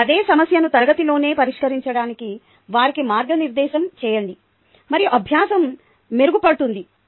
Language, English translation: Telugu, after that, guide them to solve the same problem in class itself ok, and the learning would be that much better